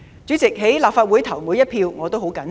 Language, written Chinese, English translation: Cantonese, 主席，在立法會投的每一票，我也十分謹慎。, President I cast every vote in the Legislative Council with great caution